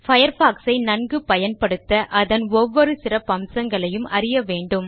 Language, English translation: Tamil, To learn how to use Mozilla Firefox effectively, one should be familiar with each of its features